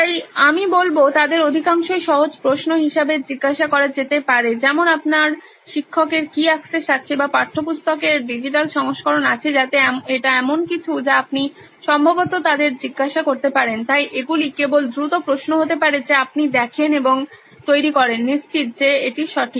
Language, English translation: Bengali, So I would say most of those can be asked as questions simple like does your teacher have access to or has a digital version of a textbook so that is something you can probably ask them, so those can be just quick questions that you see and make sure that this is right